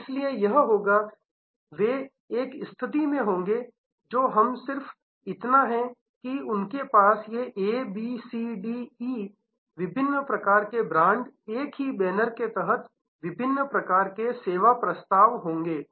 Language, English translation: Hindi, So, therefore, it will be, they will be in a situation, which we just that they will have these A, B, C, D, E, different types of brands, different types of service offerings under the same banner